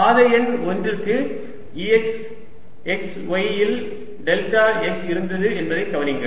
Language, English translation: Tamil, notice that for path number one we had e x at x, y, delta x, path one